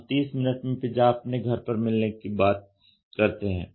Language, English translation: Hindi, We talk about pizza getting delivered at our residence in 30 minutes